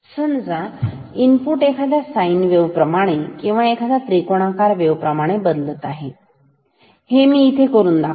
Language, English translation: Marathi, Say the input is changing like a sine wave or may be a triangular wave let me do it here